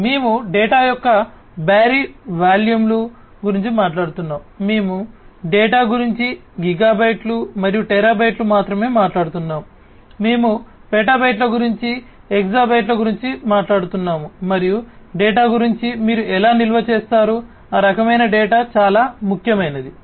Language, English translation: Telugu, So, we are talking about huge volumes of data, we are talking about data not just in gigabytes and terabytes, we are talking about petabytes, hexabytes and so on of data, how do you store, that kind of data that is very important